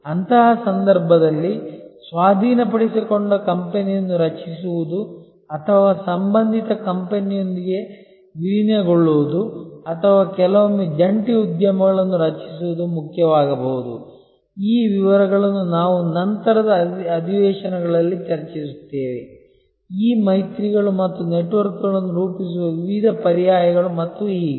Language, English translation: Kannada, In that case it may be important to create a acquired company or merge with the related company or sometimes create joint ventures and so on, these details we will discuss in later sessions this various alternatives of forming alliances and networks and so on